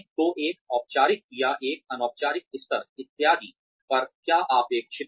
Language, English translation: Hindi, So, what is expected on a formal level or an informal level, etcetera